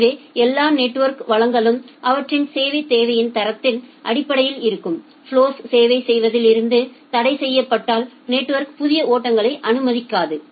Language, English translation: Tamil, So, it is like that the network does not allow new flows if all the network resources are blocked in servicing the existing flows based on their quality of service requirement